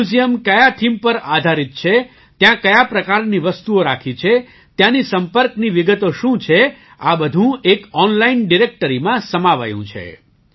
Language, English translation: Gujarati, On what theme the museum is based, what kind of objects are kept there, what their contact details are all this is collated in an online directory